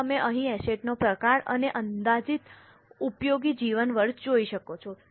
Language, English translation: Gujarati, Now you can see here type of the asset and estimated useful life